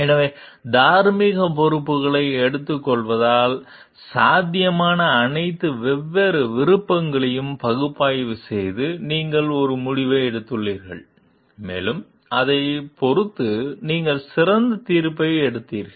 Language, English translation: Tamil, And so taking moral responsibilities so because you have taken a decision based on all the analyzing all the different options possible and you have taken a best judgment with respect to it